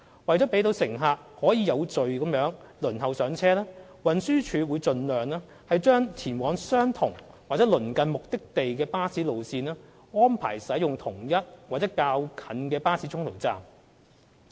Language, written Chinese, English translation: Cantonese, 為了讓乘客可以有序地輪候上車，運輸署會盡量安排，讓前往相同或鄰近目的地的巴士路線使用同一或較近的巴士中途站。, To facilitate orderly boarding of passengers bus routes heading to the same destinations or destinations with close proximity will be arranged to use the same or a nearby en - route bus stop as far as possible